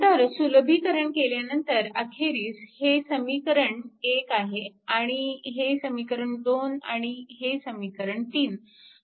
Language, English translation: Marathi, So, finally, upon simplification this one this is equation 1 this equation 2 and this is equation 3